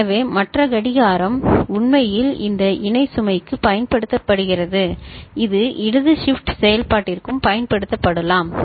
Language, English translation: Tamil, So, the other clock is actually used for this parallel load which can be also used for left shift operation